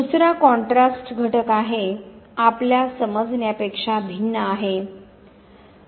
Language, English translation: Marathi, The second is the contrast factor, contrasts you understand